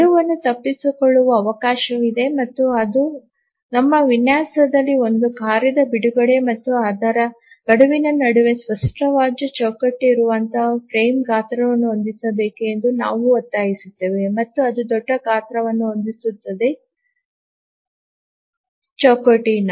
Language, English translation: Kannada, And that is the reason why in our design we will insist that the frame size must be set such that there is a clear frame between the release of a task and its deadline and that sets the largest size of the frame